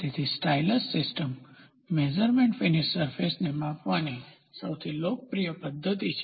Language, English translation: Gujarati, So, stylus system of measurement is the most popular method of measuring surface finish